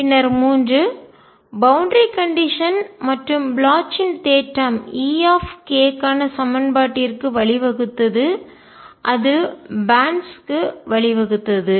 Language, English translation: Tamil, And then three, satisfaction of the boundary condition and Bloch’s theorem led to the equation for e k and that led to bands